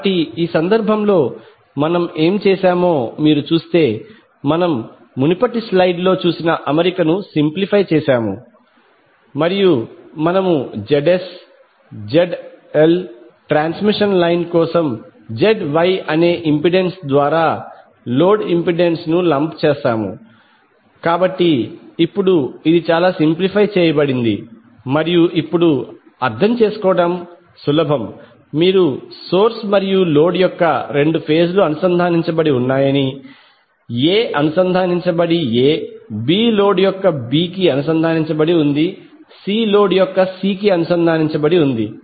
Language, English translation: Telugu, So if you see in this case what we have done, we have simplified the arrangement which we saw in the previous slide and we lump the ZS, Z small l for transmission line and the load impedance through a impedance called ZY, so now it is much simplified and easy to understand now you say that both phases of source and load are connected, A is connected A, B is connected to B of the load, C is connected to C of the load